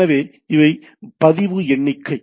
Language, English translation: Tamil, So, these are record count